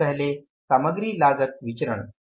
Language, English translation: Hindi, First of all, material cost variance